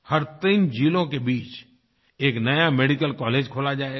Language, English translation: Hindi, One new medical college will be set up for every three districts